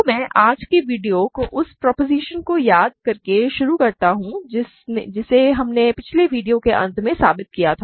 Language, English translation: Hindi, So, let me start today’s video by recalling the proposition, we proved at the end of the last video